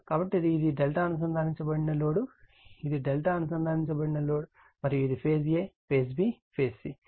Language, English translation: Telugu, So, this is my delta connected load, this is my delta connected load right and this is phase a, phase b, phase c